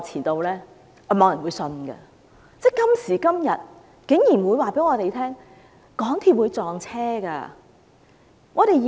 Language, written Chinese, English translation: Cantonese, 但今時今日，竟然有人告訴我們，港鐵的列車會相撞。, Yet nowadays someone would tell us that MTR trains could collide